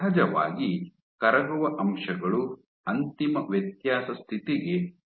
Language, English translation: Kannada, Of course, you have soluble factors add to the final differentiation state